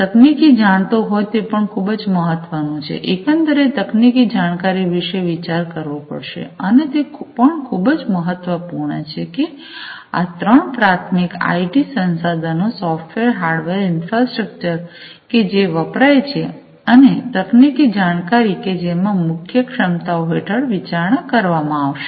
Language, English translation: Gujarati, The technical knowhow that is also very important, the overall the technical knowhow has to be considered, and that is also very important and these are the three primary, the IT resources software, hardware infrastructure, and the technical knowhow, these are the key things to be considered under core competencies